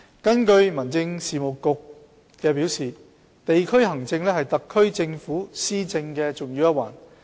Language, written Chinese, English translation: Cantonese, 根據民政事務局表示，地區行政是特區政府施政的重要一環。, According to the Home Affairs Bureau district administration is a significant link in the administration by the SAR Government